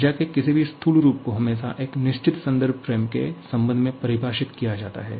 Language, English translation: Hindi, Any macroscopic form of energy is always defined with respect to a certain reference frame